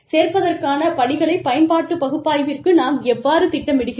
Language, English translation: Tamil, How do we plan for, inclusion steps, utilization analysis